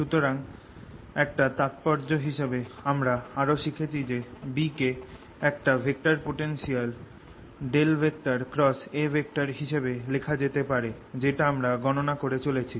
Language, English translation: Bengali, and therefore, as a corollary, we've also learnt that b can be expressed as curl of a vector potential, which we kept calculating